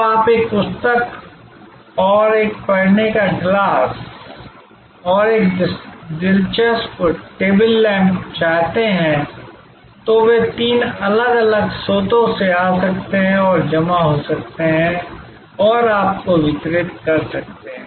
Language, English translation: Hindi, So, you may want one book and one reading glass and one interesting table lamp and they can come from three different sources and can get accumulated and delivered to you